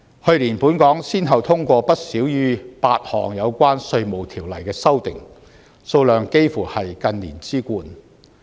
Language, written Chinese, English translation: Cantonese, 去年本港先後通過不少於8項有關《稅務條例》的修訂，數量幾乎是近年之冠。, Last year at least eight amendments concerning IRO were passed one after another and the number of amendments passed is nearly the largest in recent years